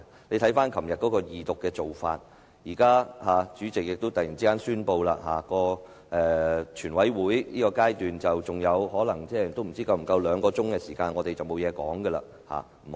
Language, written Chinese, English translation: Cantonese, 你可以回看昨天處理二讀的做法，現在你又突然宣布全體委員會審議階段餘下可能不足兩小時，之後我們便不能再發言。, You can review your approach in handling the Second Reading yesterday . And now you suddenly announced that there might be less than two hours left at the Committee stage after which we would not be allowed to speak anymore